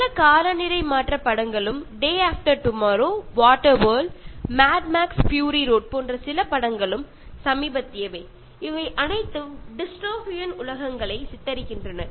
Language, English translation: Tamil, There are so many climate change films and some of the films like Day After Tomorrow, Water World, Mad Max: Fury Road, which is the recent one, they all picturise dystopian worlds